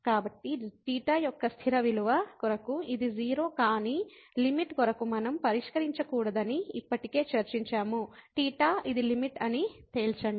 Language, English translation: Telugu, So, for fix value of theta, this is 0, but as for the limit we have already discussed that we should not fix theta to conclude that this is the limit